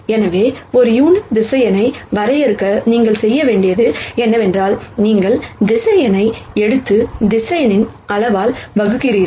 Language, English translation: Tamil, So, to de ne a unit vector what you do is, you take the vector and divide it by the magnitude of the vector